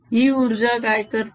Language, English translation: Marathi, what does this energy do